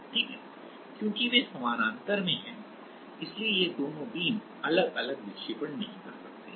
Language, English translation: Hindi, Because they are in parallel so, it cannot both the beams cannot have separate deflection